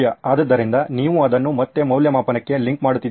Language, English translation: Kannada, So you are linking it back to the evaluation